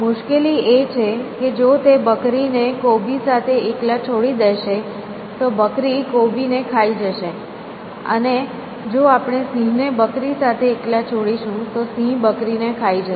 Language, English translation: Gujarati, And the difficulty is that, if he leaves the goat alone with the cabbage, the goat will eat the cabbage, and if we leave the lion alone with the goat, lion will eat the goat